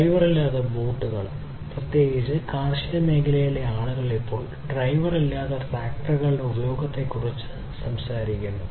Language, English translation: Malayalam, And also driver less boats and many other like particularly in agriculture people are now talking about use of driver less, driver less tractors right